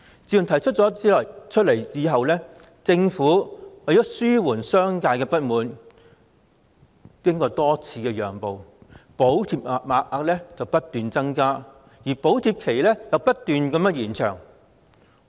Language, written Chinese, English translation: Cantonese, 自從提出取消強積金對沖以來，政府為了紓緩商界的不滿而多次讓步，不斷增加補貼額，而補貼期亦不斷延長。, Since the abolition of the MPF offsetting mechanism was put forward the Government in order to alleviate the discontent of the business sector has repeatedly made concessions by continuously increasing the amount of subsidy and extending the subsidy period